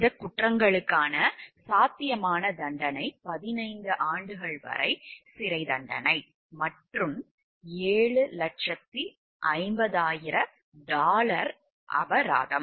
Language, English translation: Tamil, The potential penalty for these crimes were up to 15 years in prison, and a fine of dollar 7,50,000